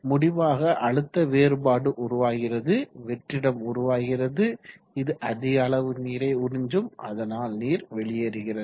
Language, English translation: Tamil, And as a result a pressure difference is created vacuum is created which will suck in more water and so on it goes